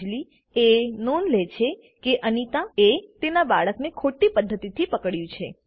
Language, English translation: Gujarati, Anjali notices Anita is holding her baby in a wrong way